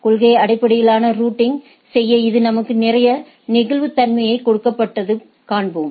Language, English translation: Tamil, And this gives us we will see this gives us a lot of flexibility in policy based routing right